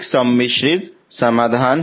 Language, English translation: Hindi, These are complex solutions